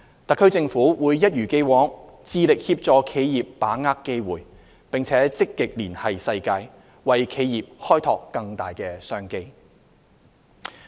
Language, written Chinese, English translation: Cantonese, 特區政府會一如既往致力協助企業把握機會，並積極連繫世界，為企業開拓更大商機。, The SAR Government will as always make efforts to assist enterprises in tapping into the opportunities and seeking active liaison with the world to explore more business opportunities for enterprises